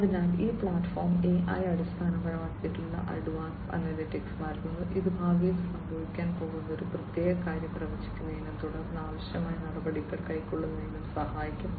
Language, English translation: Malayalam, So, basically this platform provides AI based Advanced Analytics, which can help in predicting when a particular thing is going to happen in the future and then taking requisite actions